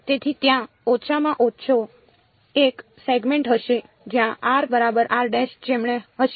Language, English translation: Gujarati, So, there will be at least one segment where r is going to be equal to r prime right